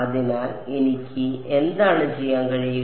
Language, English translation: Malayalam, So, what I can do is